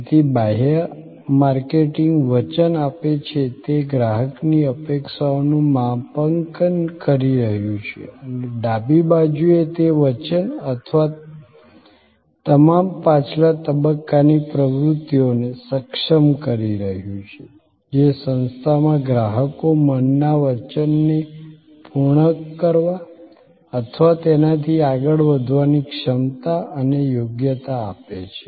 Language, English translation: Gujarati, So, the external marketing is making the promise are calibrating the customer expectation and on the left hand side it is enabling the promise or all the back stage activities, that creates the capability and competence for the organization to meet or go beyond the promise in the customers mind